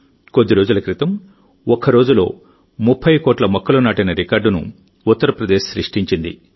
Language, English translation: Telugu, A few days ago, in Uttar Pradesh, a record of planting 30 crore trees in a single day has been made